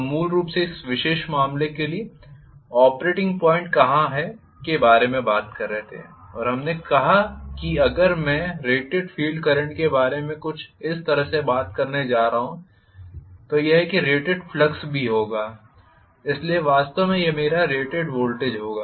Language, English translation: Hindi, we were talking about basically where is the operating point for this particular case and we said that if I am going to talk about the rated field current somewhat like this, this is what will be the rated flux as well, so this will be actually my rated generated voltage